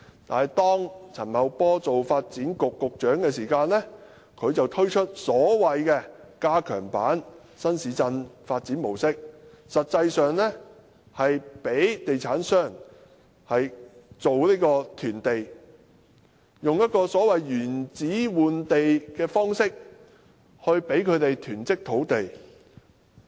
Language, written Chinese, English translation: Cantonese, 但是，當陳茂波擔任發展局局長時，他便推出所謂的加強版新市鎮發展模式，實際上是讓地產商囤地，以所謂的"原址換地"方式，來讓地產商囤積土地。, However when Paul CHAN was the Secretary for Development he introduced the Enhanced Conventional New Town Approach . In practical terms this approach allows real estate developers to hoard land by means of in - situ land exchange